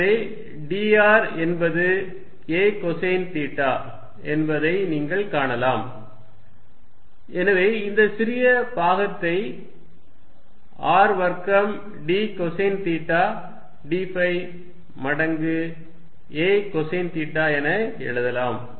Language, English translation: Tamil, So, you can see that d r is a cosine of theta, so I can write this small volume element as R square d cosine of theta d phi times a cosine of theta